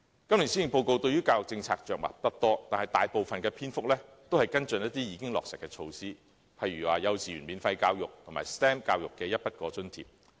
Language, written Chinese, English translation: Cantonese, 今年的施政報告對於教育政策着墨不多，但是，大部分的篇幅均是跟進一些已經落實的措施，例如幼稚園免費教育及 STEM 教育的一筆過津貼。, While the education policy is not discussed at great lengths in the Policy Address this year much coverage is devoted to some measures which have already been implemented such as free kindergarten education and the provision of One - off Grant for STEM Education